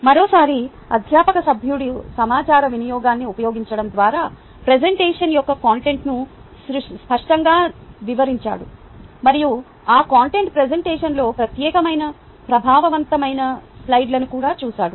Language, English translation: Telugu, once again, the faculty member has clearly described content of presentation by using substantive use of information and also looked at effective slides as a separate within that content presentation